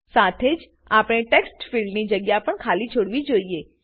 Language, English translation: Gujarati, We should also leave the Textfield places blank